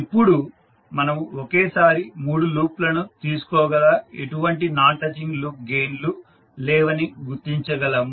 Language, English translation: Telugu, So you will have 3 sets of non touching loop gains where you will take two at a time